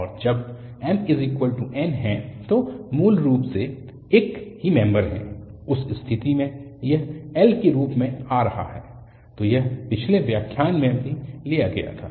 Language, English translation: Hindi, And, when m equal to n so basically they are the same member, in that case, this is coming as l, so this was derived also in the previous lecture